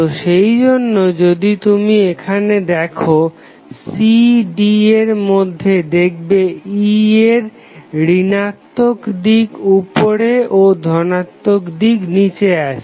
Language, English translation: Bengali, So, that is why if you see here, it between CD the polarity of E is of minus is on the top and plus is on the bottom